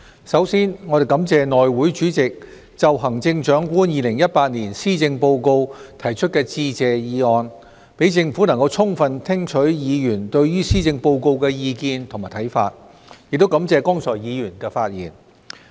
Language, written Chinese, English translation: Cantonese, 首先，我們感謝內務委員會主席就行政長官2018年施政報告提出致謝議案，讓政府能充分聽取議員對於施政報告的意見和看法，亦感謝剛才議員的發言。, Before all else we thank the Chairman of the House Committee for proposing the Motion of Thanks in respect of the Chief Executives 2018 Policy Address thereby allowing the Government to fully listen to Members comments and views on the Policy Address . I also thank Members for their speeches just now